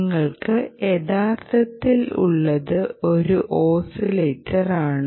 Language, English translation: Malayalam, what you actually have is an oscillator